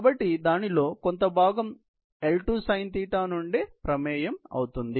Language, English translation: Telugu, So, a part of it would come as contribution from L2 sin θ